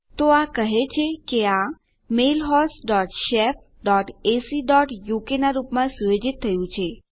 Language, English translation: Gujarati, So this just tells me that that is set to mail host dot shef dot ac dot uk